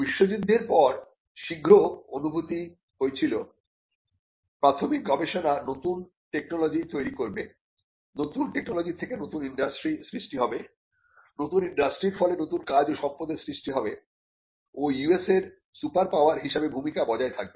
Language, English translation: Bengali, Now, soon after the world war it was felt that basic research would lead to creation of new technologies and the creation of new technologies would lead to new industries and new industries would lead to new jobs, thereby creation of wealth and eventually US becoming or maintaining its role as a superpower